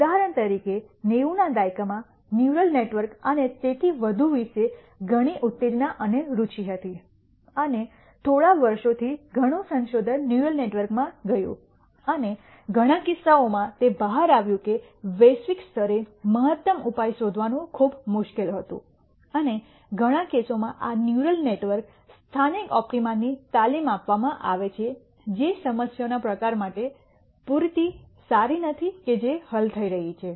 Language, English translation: Gujarati, For example, in the 90s there was a lot of excitement and interest about neural networks and so on, and for a few years lot of research went into neural networks and in many cases it turned out that nding the globally optimum solution was very difficult and in many cases these neural networks trained to local optima which is not good enough for the type of problems that were that being solved